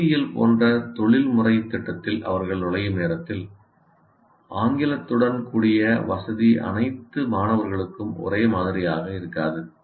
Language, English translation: Tamil, Whatever you say, by the time they enter a professional program like engineering, the facility with English is not uniform for all students